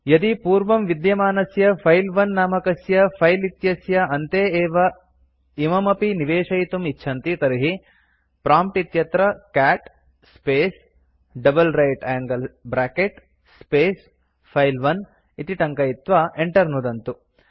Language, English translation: Sanskrit, Now if you wish to append to the end of an existing file file1 type at the prompt cat space double right angle bracket space file1 and press enter